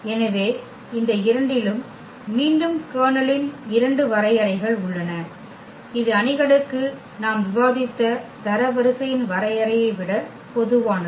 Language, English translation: Tamil, So, these 2 again we have the 2 more definitions of about the kernel which is more general than the definition of the rank we have discussed for matrices